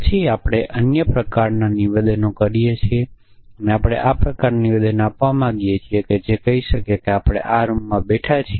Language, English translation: Gujarati, Then we make other kind of statements which so we may want to make a statement this kind that may be let say we are sitting in this room